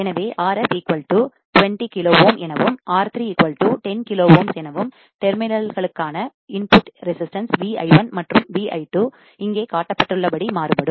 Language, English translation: Tamil, So, as R f equals to 20 kilo ohm and R 3 equals to 10 kilo ohm, input resistance to terminals V I 1 and V I 2 varies as shown here